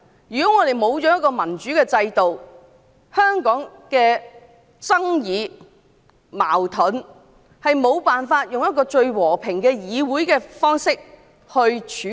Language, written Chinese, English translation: Cantonese, 如果欠缺民主制度，香港的爭議和矛盾便無法以最和平的議會方式來處理。, Without a democratic system disputes and conflicts in Hong Kong cannot be resolved by the most peaceful way in the legislature